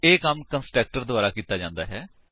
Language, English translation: Punjabi, This work is done by the constructor